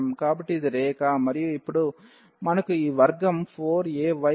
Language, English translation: Telugu, So, this is the line and now we have this x square is equal to 4 a y